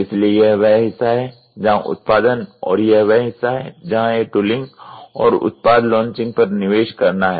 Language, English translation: Hindi, So, this is the portion where production and this is where it is going to be invest on the tooling and product launching